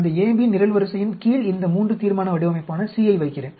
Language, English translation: Tamil, Under that AB column, I will put it as C, this III resolution design